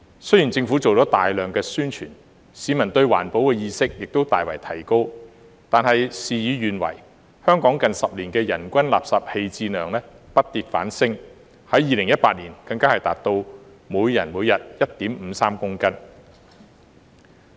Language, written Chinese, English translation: Cantonese, 雖然政府做了大量宣傳，市民的環保意識亦大為提高，但事與願違，香港近10年的人均垃圾棄置量不跌反升，在2018年更達到每人每日 1.53 公斤。, Although the Government has carried out extensive publicity and the public awareness of environmental protection has substantially risen things have run counter to our wish . Hong Kongs per capita waste disposal has increased rather than decreased in the past decade even reaching 1.53 kg per day in 2018